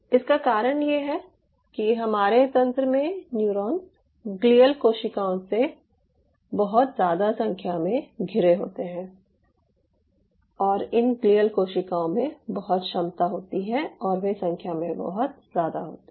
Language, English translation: Hindi, the reason being our neurons in the system are surrounded by a wide number of glial cells in and around and these glial cells have this enormous ability and they are much larger in number